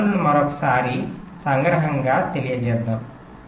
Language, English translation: Telugu, let us summarize the constraints once more